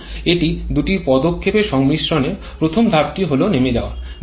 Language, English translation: Bengali, Now it is a combination of 2 steps first step is a blowdown